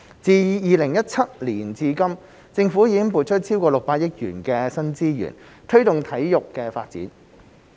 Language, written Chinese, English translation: Cantonese, 自2017年至今，政府已撥出超過600億元的新資源，推動體育發展。, Since 2017 the Government has allocated more than 60 billion of new resources to promote sports development